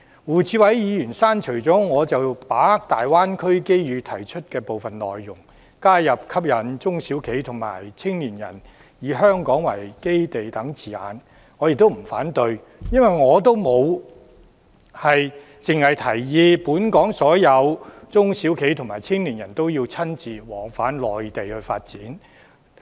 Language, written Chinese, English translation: Cantonese, 胡志偉議員刪除了我就把握大灣區機遇提出的部分內容，加入吸引中小企和青年人以香港為基地等字眼，我不會反對，因為我的建議沒有限制本港所有中小企和青年人都要返回內地發展。, Mr WU Chi - wai has deleted my suggestion to seize the opportunities presented by the Guangdong - Hong Kong - Macao Greater Bay Area and added such wordings as attracting SMEs and young people to base in Hong Kong . I have no objection because my proposal is not meant to confine all Hong Kong SMEs and young people to return to the Mainland for development